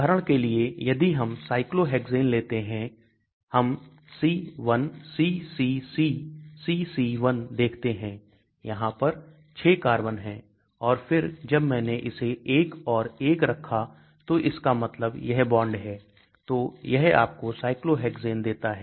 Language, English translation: Hindi, For example, if I take Cyclohexane I will say C1CCCCC1 there are 6 carbons and then when I put this 1 and 1 that means this and this are bonded so it gives you Cyclohexane